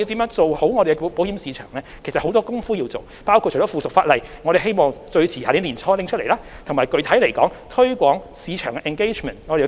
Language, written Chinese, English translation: Cantonese, 就此，我們其實還有很多工夫要做，包括制定附屬法例——我們希望最遲在明年年初能夠完成——以及具體而言，我們會繼續推廣市場的 engagement。, Regarding this there are actually a lot of work for us to do including formulation of subsidiary legislation―we hope this can be completed no later than early next year―and specifically we will continue to promote market engagement